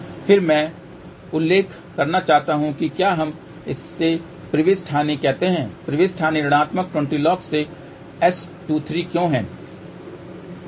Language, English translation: Hindi, Again I want to mention if we say insertion loss insertion loss is minus 20 log of 23 why